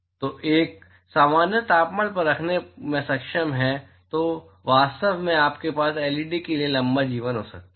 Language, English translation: Hindi, So, one is able to keep for at a normal temperature then actually you can have a longer life for LED